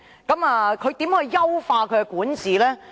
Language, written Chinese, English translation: Cantonese, 她如何優化其管治？, How could she enhance her governance?